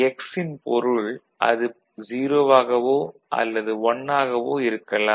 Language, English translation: Tamil, So, wherever there was 0, it will be then be 1